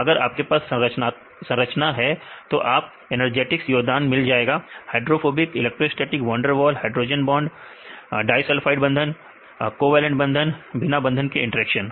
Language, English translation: Hindi, When you have these structures you can get the energetic contributions hydrophobic, electrostatic, van der Waals, hydrogen bonds, disulfide bonds, right covalent bond and non bonded interactions